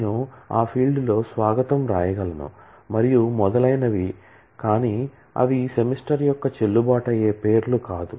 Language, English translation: Telugu, I can write welcome in that field and so on, but those are not valid names of semester